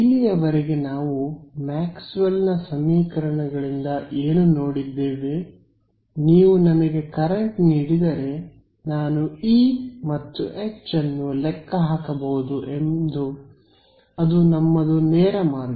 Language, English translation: Kannada, So, far what we have been seen in from Maxwell’s equations is that, if you give me current I can calculate E and H that is our straightforward route right